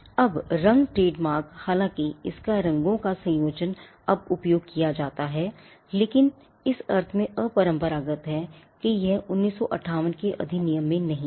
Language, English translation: Hindi, Now colour trademarks though its combination of colours is now used, but unconventional in the sense that it was not there in the 1958 act